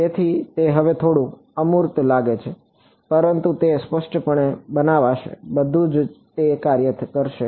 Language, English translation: Gujarati, So, it might seem a little abstract now, but will build it explicitly everything will work it out